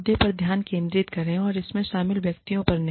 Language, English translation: Hindi, Focus on the issue, and not on the persons, involved